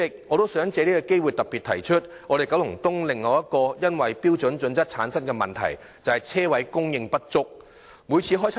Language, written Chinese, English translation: Cantonese, 我想藉此機會特別提出九龍東另一個因《規劃標準》產生的問題，就是車位供應不足。, I would like to take this opportunity to particularly point out another problem in Kowloon East arising from HKPSG namely the shortage of parking spaces